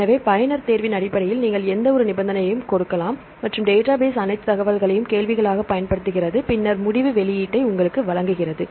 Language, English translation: Tamil, So, you can give any of the conditions based on user choice and the database uses all the information as a query and then provide you the decide output